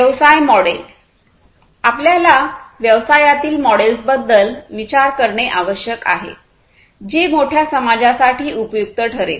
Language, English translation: Marathi, Business models: you know; we need to think about business models which will be helpful for the greater society the bigger society